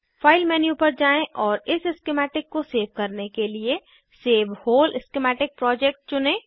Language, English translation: Hindi, Go to File menu and choose Save Whole Schematic Project to save this schematic